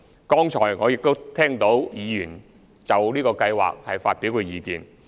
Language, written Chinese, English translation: Cantonese, 剛才我亦都聽到議員就這計劃發表意見。, I have just heard Members views on this scheme